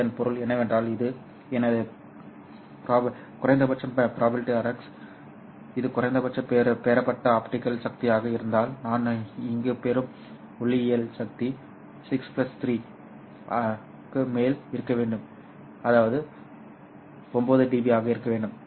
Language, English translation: Tamil, What it means is that if this is my PRX min which is the minimum received optical power, then the optical power that I receive here must be above 6 plus 3 which is equal to 9 dB